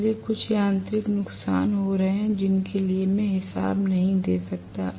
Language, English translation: Hindi, So, there is going to be some amount of mechanical losses which I cannot account for